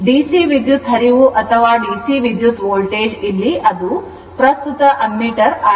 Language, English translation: Kannada, DC current or DC voltage here it is current ammeter right